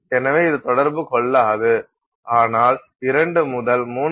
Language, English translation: Tamil, So, this will not interact whereas once you cross 2 to 3